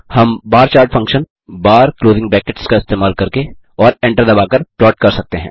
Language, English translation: Hindi, We can plot the bar chart using the function bar() and hit enter